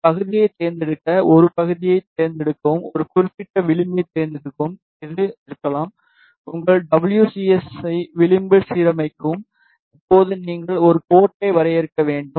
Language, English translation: Tamil, Select a segment to select a segment select a particular edge may be this one align your WCS with edge now you need to define a port